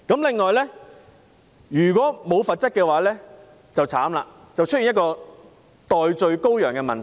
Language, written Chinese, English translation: Cantonese, 此外，如果沒有罰則便慘了，會出現代罪羔羊的問題。, In addition the lack of penalties will lead to serious consequences and one may become a scapegoat